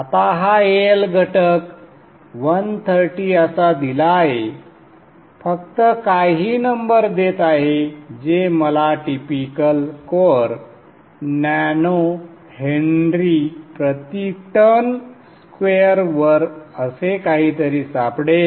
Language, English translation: Marathi, Now this EL factor is something given as 130, just giving some numbers which I will find on typical course, nano Henry per turn square, something like that one